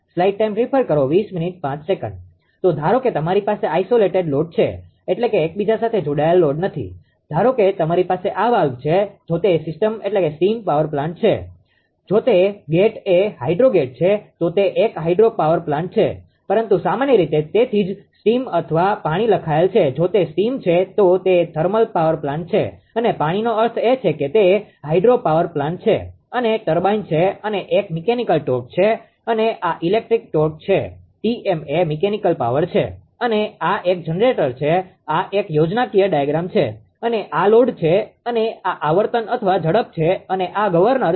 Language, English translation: Gujarati, So, suppose you have isolated load means not interconnected right, suppose you have a this is valve if it is steam plant if it is a gate hydrogate then it is a hydropower plant, but general that is why written steam or water if it is a steam it is thermal power plant water means it is hydropower plant right and this is turbine and this is your what you call this is a mechanical torch this is a electrical torch T m is the mechanical power and this is a generator this is a schematic diagram and this is the load and this is the frequency or speed this is the governor, right